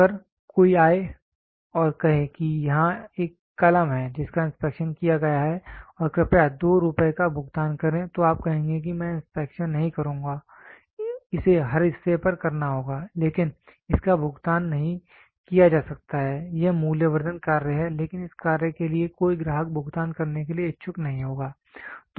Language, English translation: Hindi, If somebody comes and say, here is a pen which is inspected and please pay 2 rupees more you will say I will not inspection has to be done on every part, but it cannot be paid, it is a value addition job, but for this job no customer will be interested to pay